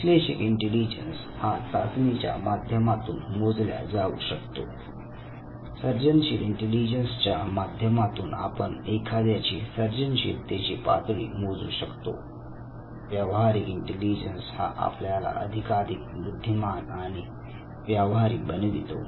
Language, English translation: Marathi, Analytical intelligence which is measured by intelligence tests, creative intelligence which is something that determines your level of creativity and the practical intelligence which basically makes you more and more street smart